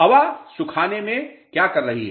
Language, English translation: Hindi, What air drying is doing